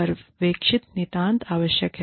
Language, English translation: Hindi, Supervision is absolutely essential